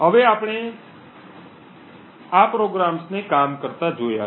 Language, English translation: Gujarati, Now that we have seen these programs work